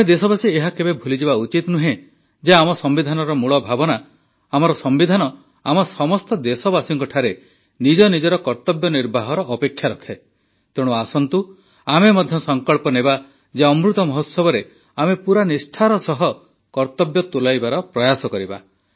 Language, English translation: Odia, We the countrymen should never forget the basic spirit of our Constitution, that our Constitution expects all of us to discharge our duties so let us also take a pledge that in the Amrit Mahotsav, we will try to fulfill our duties with full devotion